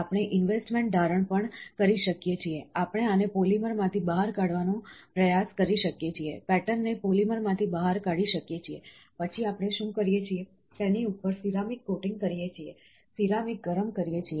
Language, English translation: Gujarati, This is a pattern which is created by this process, investment casting also we can do, we can try to take this out of polymer, pattern out of polymer, then what we do is, we give a ceramic coating on top of it, heat the ceramic